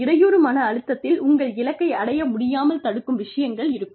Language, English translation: Tamil, And, hindrance stressors would be stressors, that keep you from reaching your goal